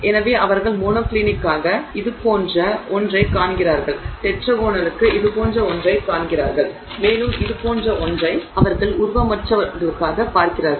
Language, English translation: Tamil, So, it turns out that they see something like this for monoclinic, they see something like this for tetragonal and they see something like this for amorphous